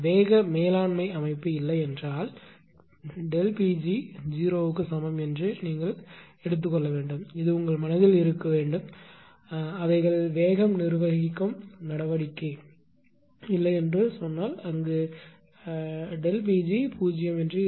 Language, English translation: Tamil, If there is no speed governing system means that delta P g is equal to 0 you have to take; this should be in your mind that whenever they say no speed governing action means delta P g will be 0 right